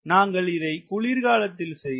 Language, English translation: Tamil, and this was conducted in winter